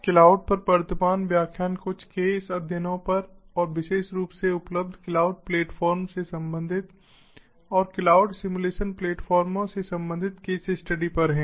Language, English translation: Hindi, the current lecture on cloud is on some case studies and, more specifically, case studies related to the available cloud platforms and including the cloud simulation platforms